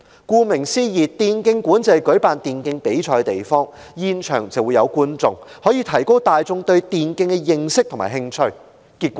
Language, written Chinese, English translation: Cantonese, 顧名思義，電競館是舉辦電競比賽的地方，並開放讓現場觀眾觀賞，提高大眾對電競的認識和興趣，主席，結果如何？, As the name implies e - sports venues are places for organizing e - sports tournaments which are open to attendance to enhance peoples understanding of and interest in e - sports . President what is the result?